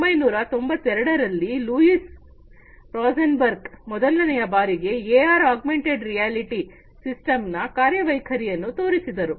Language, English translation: Kannada, In 1992, Louise Rosenberg was the first, you know, he came up with the first functioning AR augmented reality system